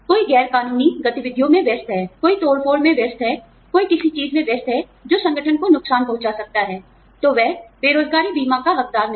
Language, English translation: Hindi, Somebody engaging in illegal activities, somebody engaging in sabotage, somebody engaging in something, that can hurt the organization, is not entitled to unemployment insurance